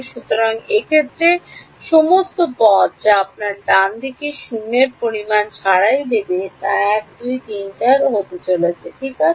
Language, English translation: Bengali, So, in this case all the terms that will give you non zero quantities on the right hand side will come from 1 2 3 4 ok